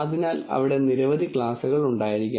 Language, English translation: Malayalam, So, there might be many classes